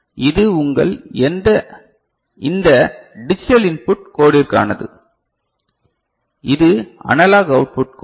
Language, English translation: Tamil, So, this is for your this digital input code, and this is the analog output code